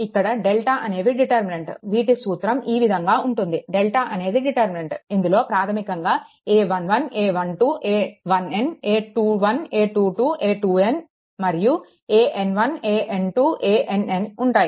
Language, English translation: Telugu, Where the deltas are the determinants given by this delta is equal to your this determinant you find out this is a basically it is the a 1 1, a 1 2, a 1 n, a 2 1, a 2 2, a 2 n, and a n 1, a n 2, a n n